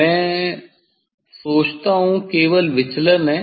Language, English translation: Hindi, you will get minimum deviation